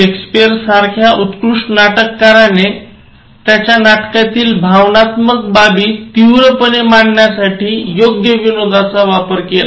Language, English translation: Marathi, Great playwrights like Shakespeare used appropriate humour to intensify the emotional content of their plays